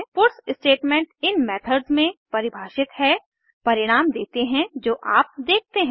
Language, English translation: Hindi, A puts statement defined within these methods gives the results you see